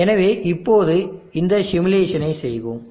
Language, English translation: Tamil, So now we will go to performing this simulation